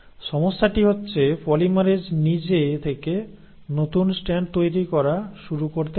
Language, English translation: Bengali, The problem is, polymerase on its own cannot start making a new strand